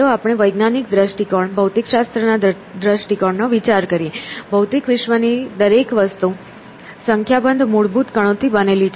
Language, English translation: Gujarati, Okay, now let us take a scientific enforce point of view, the physics point of view; everything in the physical world is made up of a small number of fundamental particles